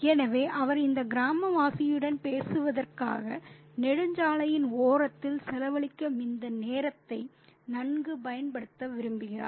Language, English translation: Tamil, So, he wants to make good use of this time that he, you know, spends by the side of the highway talking to this village